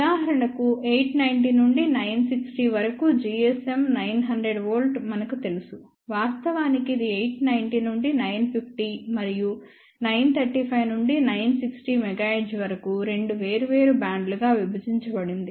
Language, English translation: Telugu, For example, we know that g s m 900 volts from 890 to 960; of course, that is divided into two separate bands 890 to 950 and 935 to 960 megahertz